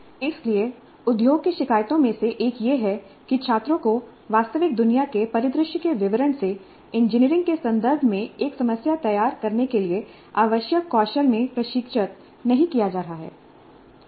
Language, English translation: Hindi, So one of the complaints from industry has been that students are not being trained in the skills required to formulate a problem in engineering terms from a description given of the real world scenario